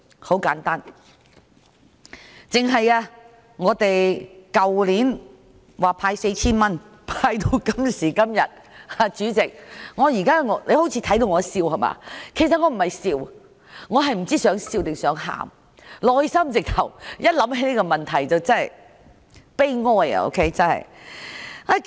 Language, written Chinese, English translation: Cantonese, 很簡單，單是去年派發 4,000 元，到今時今日——主席，你看到我好像在笑，其實我不是在笑，只是哭笑不得——一想起這個問題，內心真的悲哀。, It is simple from last years handing out of 4,000 to this moment―President you may think that I am laughing but I am actually not laughing I really dont know if I should laugh or I should cry―I feel saddened as long as this issue comes to my mind